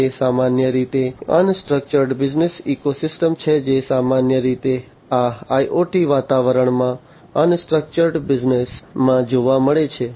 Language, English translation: Gujarati, They are typically unstructured business ecosystems that are typically encountered in these IoT environments, unstructured business ecosystems